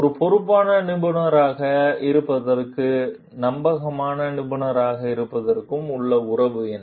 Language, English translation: Tamil, What is the relationship between being a responsible professional and being a trustworthy professional